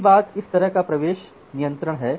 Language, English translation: Hindi, So, the first thing is kind of admission control